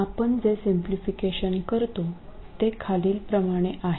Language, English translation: Marathi, The simplification that we will make is the following